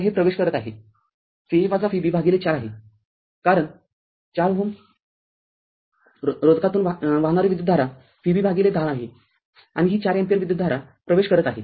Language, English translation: Marathi, So, this current we saw it is entering V a minus V b by 4, because this 4 ohm resistance current through this is V b by 10 right and this 4 ampere current it is entering